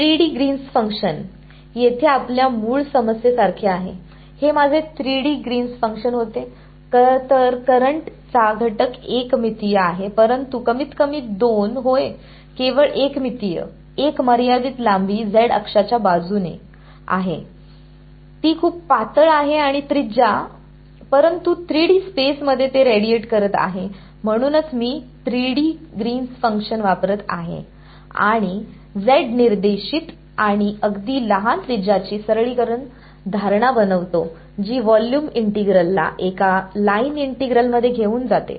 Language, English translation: Marathi, 3D Green's function like this is like our original problem over here what was this was my 3D Green's function know; so, the current element is one dimensional, but at least two yes, one dimensional only a long of finite length along the z axis its very thin and radius, but its radiating in 3D space that is why I am using the 3D Green's function and making the simplifying assumptions of z directed and very small radius that volume integral boil down to a line one dimensional integral